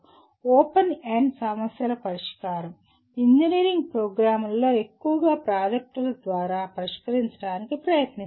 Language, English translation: Telugu, And solution of open ended problems is attempted engineering programs mostly through projects